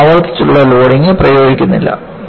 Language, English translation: Malayalam, You are not applying a repeated loading